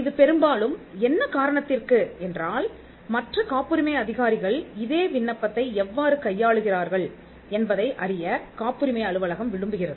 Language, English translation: Tamil, Now this is more like, the patent office would like to know how other patent officers are dealing with the same application